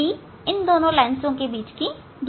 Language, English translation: Hindi, d is the separation between these two lens